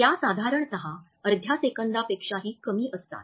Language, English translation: Marathi, They typically last less than half a second